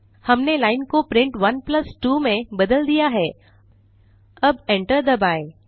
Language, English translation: Hindi, We have changed the line to print 1+2, now press enter